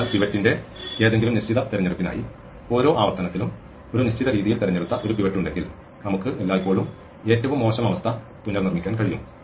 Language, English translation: Malayalam, So, for any fixed choice of pivot, if we have a pivot, which is picked in a fixed way in every iteration, we can always reconstruct the worst case